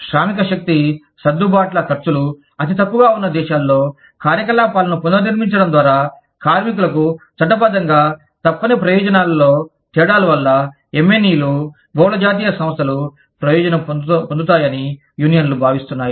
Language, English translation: Telugu, s, multi national enterprises, take advantage of, differences in legally mandated benefits for workers, by restructuring the operations in countries, where the costs of workforce adjustments, are the lowest